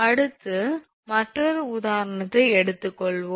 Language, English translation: Tamil, So, next we will take another example